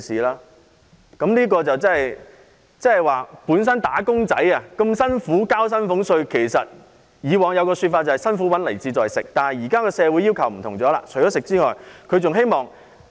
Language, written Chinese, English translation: Cantonese, "打工仔"辛苦工作並繳交薪俸稅，以往他們都說"辛苦搵來自在食"，但他們現時的要求已不一樣。, Wage earners work hard and pay salaries tax and they used to spend their hard - earned money on good food . Yet they are now pursuing something different